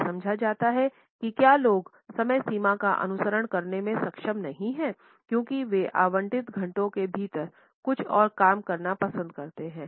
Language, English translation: Hindi, It is understood if people are not able to follow the deadlines because they have preferred to do some other thing within the allotted hour